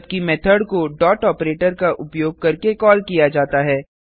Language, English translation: Hindi, Whereas the Method is called using the dot operator